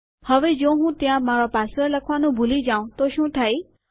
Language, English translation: Gujarati, Now what happens if I forget to type my password in there